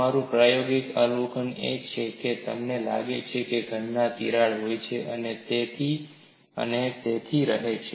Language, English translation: Gujarati, Our practical observation is you find solids contain crack and they remain so